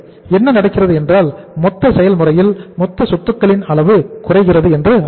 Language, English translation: Tamil, So it means what is happening that the in the in the total process that level of the total asset is going to go down